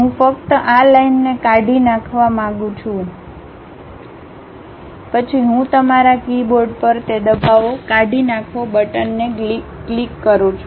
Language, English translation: Gujarati, I would like to delete only this line, then I click that press Delete button on your keyboard